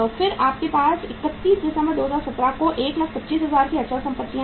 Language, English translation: Hindi, Then you have the fixed assets valued at 125,000 on 31st December 2017